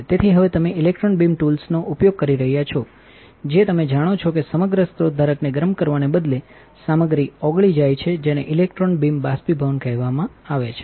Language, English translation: Gujarati, So, now you are using electron beam tools you know melt the material instead of heating the entire source holder that is called electron beam evaporation